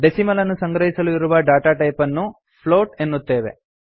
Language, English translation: Kannada, To store decimal numbers, we have to use float